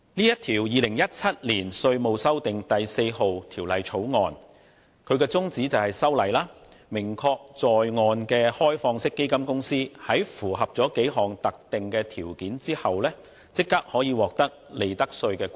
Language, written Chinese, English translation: Cantonese, 《2017年稅務條例草案》旨在訂明在岸開放式基金公司在符合若干特定條件下，即可獲利得稅豁免。, 4 Bill 2017 the Bill seeks to prescribe certain specific conditions under which onshore OFCs are eligible for profits tax exemption